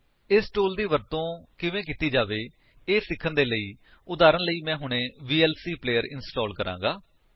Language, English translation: Punjabi, To learn how to use this tool, I shall now install the vlc player as an example